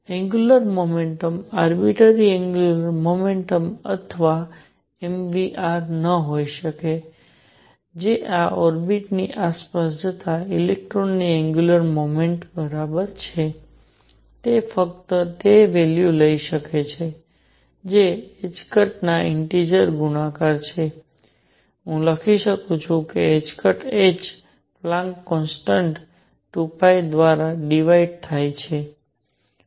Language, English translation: Gujarati, The angular momentum cannot be arbitrary angular momentum or m v r which is equal to the angular momentum of electron going around this orbit can take only those values which are integer multiples of h cross, let me write h cross equals h Planck’s constant divided by 2 pi